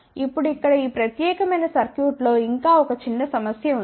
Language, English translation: Telugu, Now, over here there is a still 1 small problem in this particular circuit ok